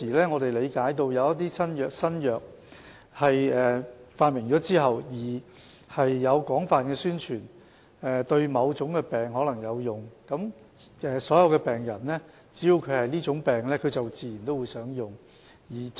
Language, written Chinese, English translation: Cantonese, 我們理解到，一些新藥在發明後，會進行廣泛宣傳，指其對某種疾病可能有用，所有患上這種疾病的病人自然便會想使用這些藥物。, We understand that after a new drug has been invented extensive promotion will be carried out to claim that it may be useful for treating a certain disease . It is only natural that all the patients suffering from this disease will wish to take this drug